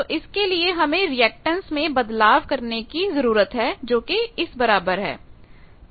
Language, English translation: Hindi, So, this requires again a change of reactance that is equal to this